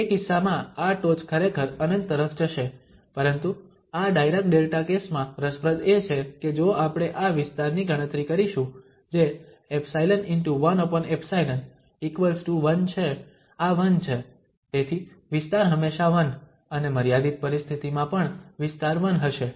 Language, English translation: Gujarati, So, in that case, this peak will go to actually infinity but what is interesting in this Dirac Delta case that if we compute this area which is epsilon over 1 over epsilon this is 1, so the area is always 1 and when, even the limiting situation also the area would be 1